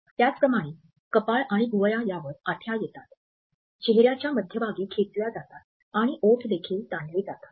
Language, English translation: Marathi, Then forehead and eyebrows are wrinkled and pull towards the center of the face and lips are also is stretched